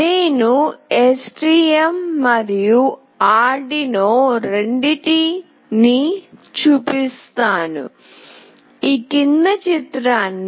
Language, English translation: Telugu, And I will be showing for both STM and Arduino